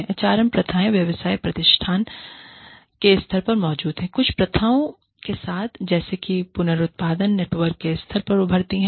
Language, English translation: Hindi, The HRM practices exist, at the level of the firm, with some practices, such as resourcing, emerging at the level of the network